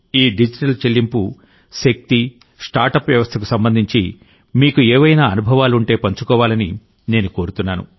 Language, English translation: Telugu, I would like you to share any experiences related to this power of digital payment and startup ecosystem